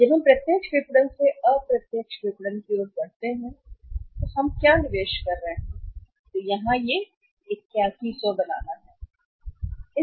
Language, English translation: Hindi, When we are moving from the direct marketing to indirect marketing so what investment we are making here that is 8100